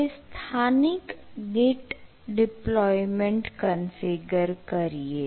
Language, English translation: Gujarati, now we need to configure a configure local git deployment